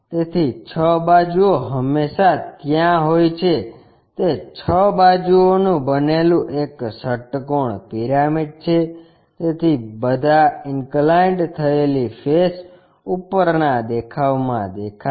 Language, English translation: Gujarati, So, 6 sides are always be there, those 6 sides is a hexagonal pyramid, so all the inclined faces will be visible in the top view